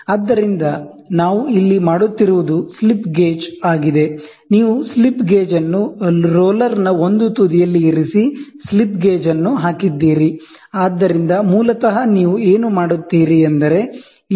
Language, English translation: Kannada, So, what we do is here is a slip gauge, ok, here is a slip gauge, so you put the slip gauge you put the slip gauge at one end of the roller one end of the roller you put the slip gauge, so basically what you do is you keep and height